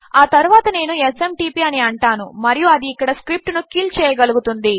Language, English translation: Telugu, Next Ill say SMTP and that can just kill the script there